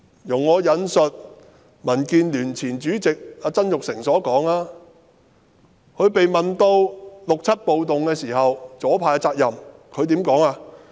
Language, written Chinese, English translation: Cantonese, 容許我引述民建聯前主席曾鈺成的說話，他被問及1967年暴動中左派的責任時，如何回應呢？, Allow me to quote the words of Jasper TSANG former Chairman of DAB . When asked about the responsibility of the leftists in the riot in 1967 how did he respond?